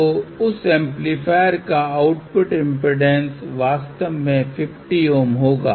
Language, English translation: Hindi, So, that amplifier actually has an output impedance of 50 Ohm